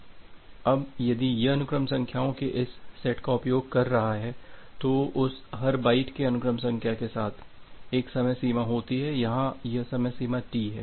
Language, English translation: Hindi, Now, if it is using this set of sequence numbers, so every byte with that sequence number they have a life time here this life time is T